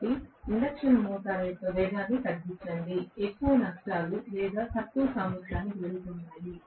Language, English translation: Telugu, So, lower the speed of the induction motor, more is going to be the losses or less is going to the efficiency